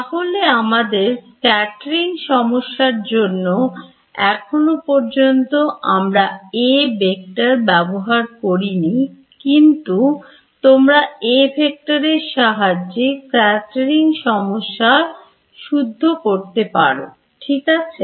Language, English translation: Bengali, In our scattering problem so, far we have not encountered this A vector right you can also formulate this scattering problem in terms of the A vector ok